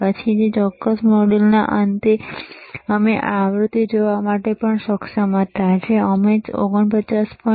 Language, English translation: Gujarati, Then at the end of that particular module, we were also able to see the frequency, which we were able to measure around 49